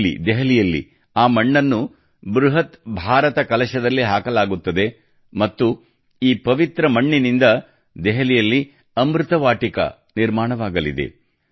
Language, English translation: Kannada, Here in Delhi, that soil will be put in an enormous Bharat Kalash and with this sacred soil, 'Amrit Vatika' will be built in Delhi